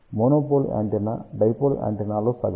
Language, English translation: Telugu, Monopole antenna is half of the dipole antenna